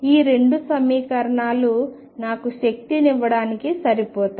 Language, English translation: Telugu, And these two equations are sufficient to give me the energy